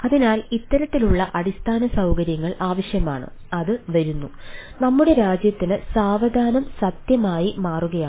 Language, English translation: Malayalam, so this sort of infrastructure is the need, not only it is coming becoming true for our country also slowly